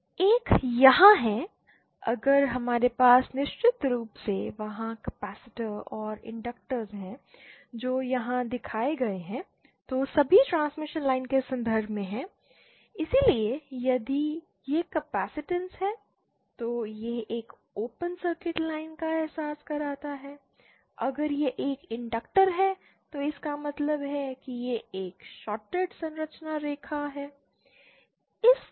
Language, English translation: Hindi, One is here if we have a capacitance of course there capacitors and inductors that are shown here are all in terms of transmission line either so if this is a capacitance then it realise a open circuit line and if this is an inductor then it implies a shorted transmission line